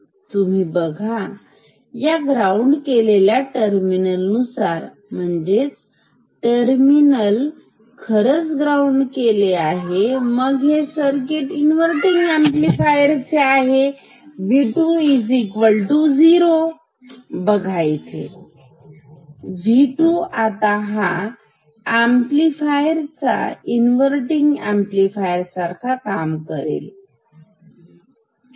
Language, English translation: Marathi, So, now, you see, observe with this terminal grounded; that means, this terminal is actually grounded, this part acts like a inverting amplifier, observe that with V 2 equal to 0, this is V 2 the amplifier acts as an inverting amplifier ok